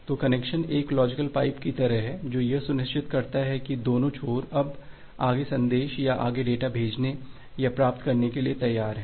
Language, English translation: Hindi, So, the connection is just like a logical pipe that ensures that both the ends are now ready to send or receive further messages or further data